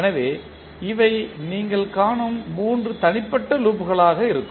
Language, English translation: Tamil, So, these will be the three individual loops which you will find